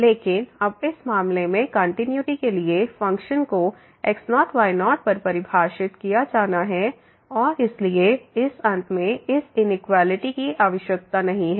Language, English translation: Hindi, But, now in this case for the continuity the function has to be defined at naught naught and therefore, this inequality at this end is no more required